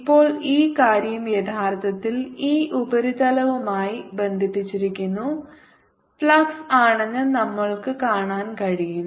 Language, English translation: Malayalam, now we can see that this thing is actually flux found by the surface